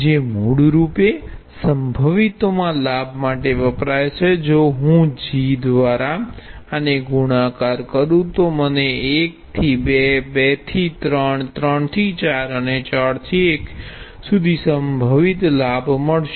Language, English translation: Gujarati, So obviously, if you sum these gain in heights which are basically stands in for gain in potentials if I multiply this by g, I will have potential gain from 1 to 2, 2 to 3, 3 to 4, and 4 to 1